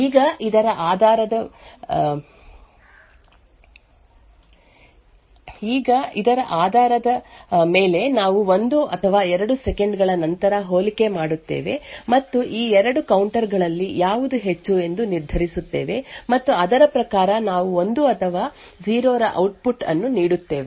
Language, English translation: Kannada, Now based on this we would make a comparison after say 1 or 2 seconds and determine which of these 2 counters is higher and according to that we would give output of 1 or 0